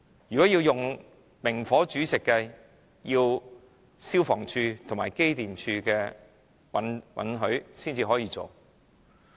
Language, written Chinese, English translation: Cantonese, 如果要求明火煮食，要得到消防處和機電工程署的批准。, If naked flame is to be used approval of the Fire Services Department and the Electrical and Mechanical Services Department is required